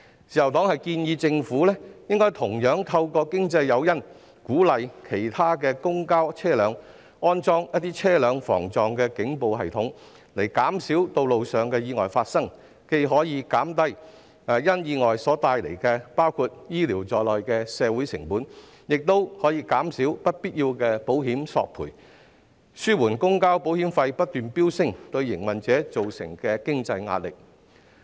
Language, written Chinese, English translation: Cantonese, 自由黨建議政府應該同樣透過經濟誘因，鼓勵其他公共交通車輛安裝防撞警報系統，從而減少道路意外發生，這樣既可減低意外所帶來包括醫療服務的社會成本，亦可減少不必要的保險索賠，以紓緩公共交通保險費不斷飆升對營運者造成的經濟壓力。, The Liberal Party proposes that the Government should similarly encourage the installation of a collision warning system in other public vehicles by providing financial incentives so as to reduce the occurrence of road accidents . It can both lower social costs arising from accidents including those for medical services and prevent unnecessary insurance claims thereby alleviating the financial pressure on operators caused by soaring insurance premiums for public transport